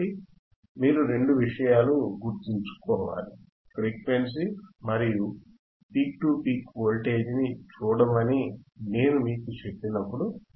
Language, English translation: Telugu, So, two things you have to remember, frequency when I tellalk you to see frequency and the peak to peak voltage